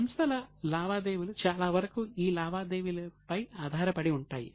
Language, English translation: Telugu, Most of the transactions of companies are based on these transactions